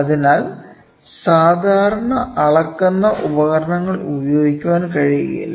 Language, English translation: Malayalam, So, the standard measuring devices cannot be used, ok